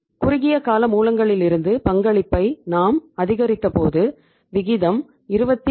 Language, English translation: Tamil, Then when we increased the contribution from the short term sources the ratio went up to 27